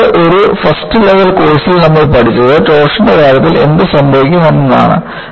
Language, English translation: Malayalam, The next one, you learnt in a first level course is what happens in the case of torsion